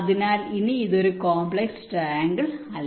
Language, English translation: Malayalam, this is called a complex triangle